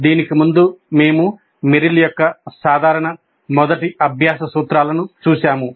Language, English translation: Telugu, Earlier to that, we looked at Merrill's general first principles of learning